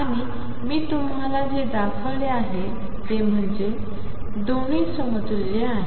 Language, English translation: Marathi, And what I have shown you is that both are equivalent both are equivalent